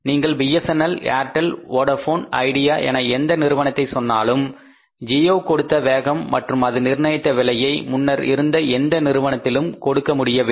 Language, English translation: Tamil, Whether you call it BSNNL, you call it as Airtel, you call it as Vodafone, you call it as idea, whatever the price and the speed, geo has given to the market, existing company couldn't do that